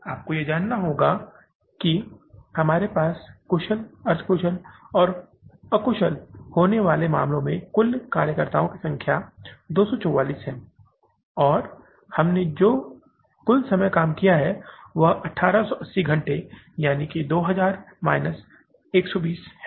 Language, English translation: Hindi, You have to now we have the total number of workers that is 2, 4 4 in case of the skilled, semi skilled and unskilled and total time we have walked is that is 1 880 hours that that is 2000 minus 120